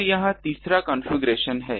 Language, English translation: Hindi, And this is this this third configuration